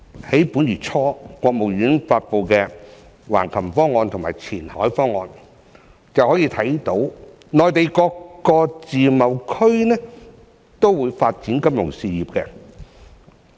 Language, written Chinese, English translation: Cantonese, 在本月初，國務院發布的《橫琴方案》和《前海方案》便可以看到，內地各個自貿區均會發展金融業。, From the Hengqin Plan and Qianhai Plan released by the State Council earlier this month we can see that financial services will be developed in all the free trade zones on the Mainland